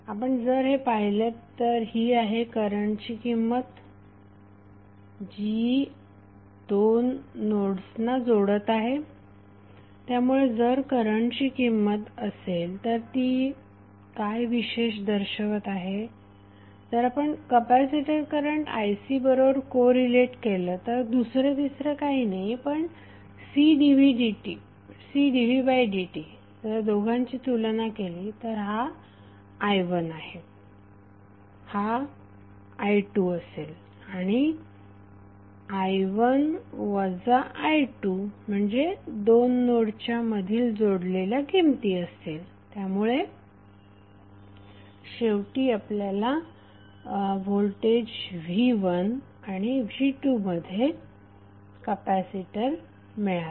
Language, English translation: Marathi, If you see this, this is nothing but the value of the current which is connecting two nodes, so if this is the value of current it signifies what, if you correlate with capacitor current ic is nothing but C dv by dt, so if you compare this two this will be something called i1 this will be i2 and i1 minus i2 means the values which are connected between two nodes, so finally what we got is the capacitor which is connected between voltage v1 and v2